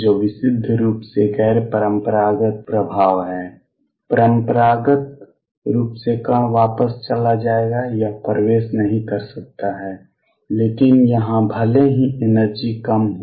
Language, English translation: Hindi, Which is a purely non classical effect classically the particle would just go back, it cannot penetrate through, but here even if it is energy is low